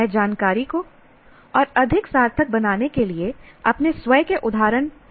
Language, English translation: Hindi, I create, do not create my own examples to make information more meaningful